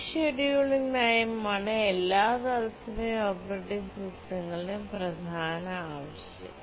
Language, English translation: Malayalam, And this scheduling policy is the central requirement for all real time operating systems that we had seen